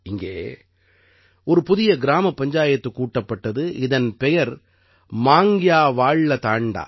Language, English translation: Tamil, A new Gram Panchayat has been formed here, named 'MangtyaValya Thanda'